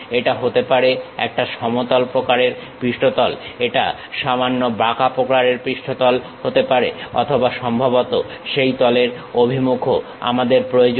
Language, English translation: Bengali, It might be a planar kind of surfaces, it might be slightly curved kind of surfaces or perhaps the orientation of that surface also we require